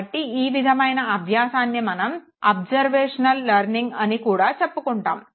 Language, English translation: Telugu, So this type of learning they are called observational learning